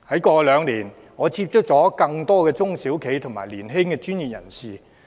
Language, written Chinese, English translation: Cantonese, 過去兩年，我接觸很多中小企及年輕專業人士。, In the past two years I have come into contact with many SMEs and young professionals